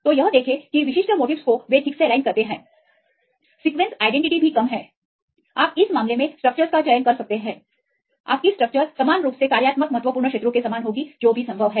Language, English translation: Hindi, So, see that specific motifs that they are properly aligned that they also even the sequence identity is less you can choose the structures in this case your structure will be similar resembled the functional important regions that is also possible fine